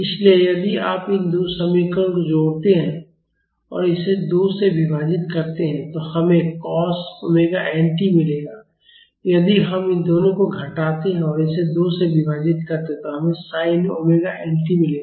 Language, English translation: Hindi, So, if you add these two equations and divide it by 2 we will get cos omega n t, if we subtract these two and divide it by 2 i we would get sin omega nt